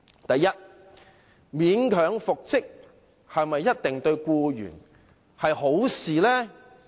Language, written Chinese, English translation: Cantonese, 第一，勉強復職對僱員是否一定是好事呢？, First will it be desirable for an employee to be reinstated reluctantly?